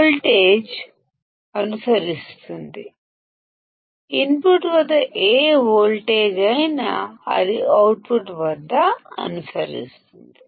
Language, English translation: Telugu, The voltage will follow; whatever voltage is at input it will follow at the output